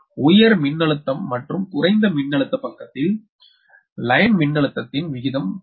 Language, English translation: Tamil, so ratio of the line voltage on high voltage and low voltage side are the same, right